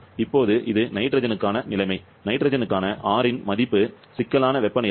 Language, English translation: Tamil, Now, this is a situation for the nitrogen, you have this as the value of R for nitrogen, temperature; critical temperature 126